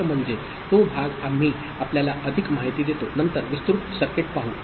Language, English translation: Marathi, So, that is that part we shall see more you know, elaborate circuit later